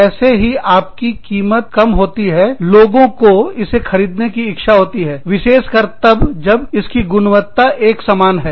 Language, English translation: Hindi, As soon as the price goes down, people will want to buy it, especially, if the quality is the same